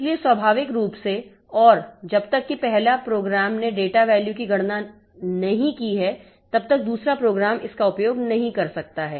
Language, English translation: Hindi, Though naturally, until unless the first program has computed the data value, the second program cannot use it